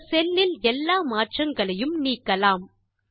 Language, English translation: Tamil, Let us delete the changes in this cell